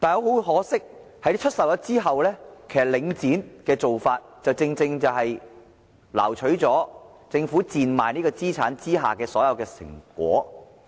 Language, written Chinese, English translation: Cantonese, 很可惜，出售後，領展的做法正正挪取了政府賤賣資產的所有成果。, Regrettably after the sale Link REITs practice has simply reaped all the fruits of the Governments sale of assets at miserably low prices